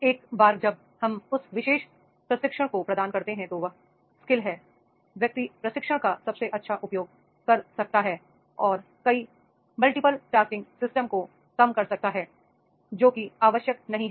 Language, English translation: Hindi, Once we provide that particular training, that skill is there, the person may make the best use of the training and reduce the multiple tasking system which was not essential